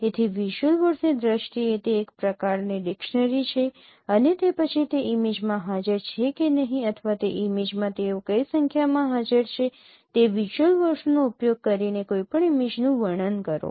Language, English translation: Gujarati, So it's a kind of dictionary and dictionary in terms of visual words and then describe any image using those visual words whether they are present in the image or not or in what number they are present in that image